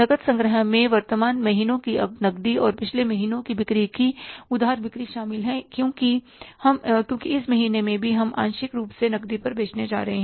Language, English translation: Hindi, Cash collection includes the current month's cash and the sales plus previous month's credit sales because in this month also we are going to sell partly on cash